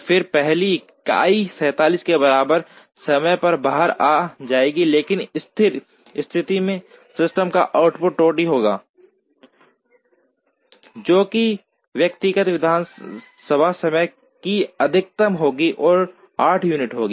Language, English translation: Hindi, Then the first unit will come out at time equal to 47, but at steady state the output of the system will be the bottleneck, which will be the maximum of the individual assembly times, which would be 8 units